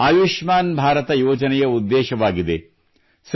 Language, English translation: Kannada, This Ayushman card, Government of India gives this card